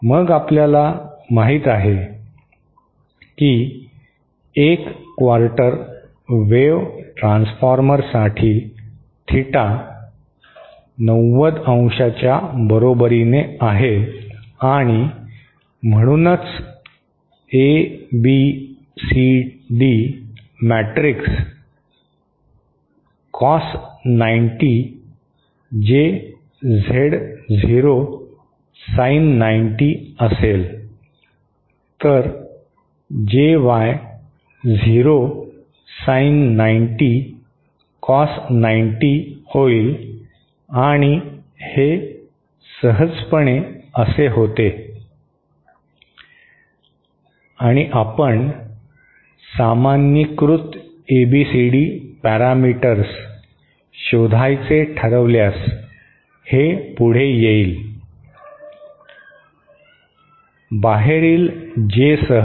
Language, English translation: Marathi, Then we know for a quarter wave transformer, theta is equal to 90¡ and therefore the ABCD matrix will be cos 90 J Z0 sin 90¡, then JY0 sin 90¡ cos 90¡ and this simply turns outÉ And if we choose to find out the normalised ABCD parameters then this would come out to, with J on the outside